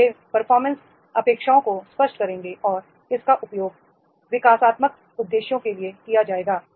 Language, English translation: Hindi, So, these will clarify the performance expectations and this will be used for the developmental purposes